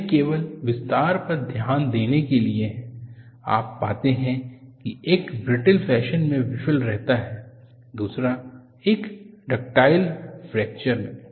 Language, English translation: Hindi, It is only in attention to detail, you find one fails in a brittle fashion, another is a ductile fracture